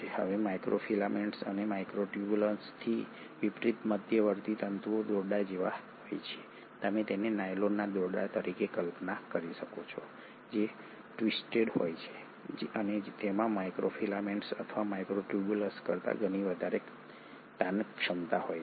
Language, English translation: Gujarati, Now intermediary filaments unlike microfilaments and microtubules are more like ropes, you can visualize them as nylon ropes which are twisted and they are much more having a much more higher tensile strength than the microfilaments or the microtubules